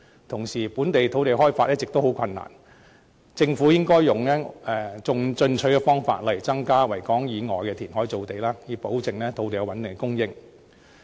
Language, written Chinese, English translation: Cantonese, 同時，本港土地開發一直十分困難，政府應採用進取的方式，例如增加在維港以外填海造地，以保證有穩定的土地供應。, In addition land development has always been a very difficult task in Hong Kong and the Government should adopt a proactive approach in this respect . For example land supply could be enhanced through reclamation outside Victoria Harbour so as to ensure a stable supply